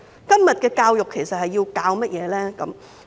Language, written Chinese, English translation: Cantonese, 今天的教育其實要教授甚麼？, What is actually being taught in todays education?